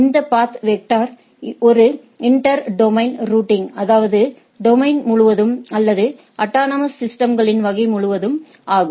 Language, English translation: Tamil, And this path vector is a inter domain routing; that means, across the domain or across the autonomous systems type of things